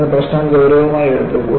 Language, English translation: Malayalam, Then the problem was taken up seriously